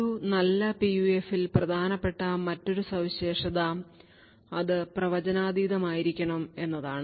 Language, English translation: Malayalam, Another feature which is important in a good PUF is the unpredictability